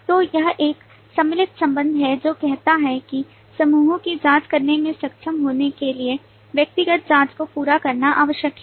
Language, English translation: Hindi, So this is an include relationship, which say that to be able to complete the group checking, it is necessary to complete the individual checkings